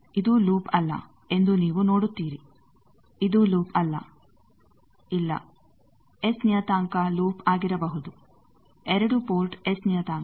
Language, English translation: Kannada, You see this is not a loop, this is not a loop no S parameter can be a loop, 2 port S square meter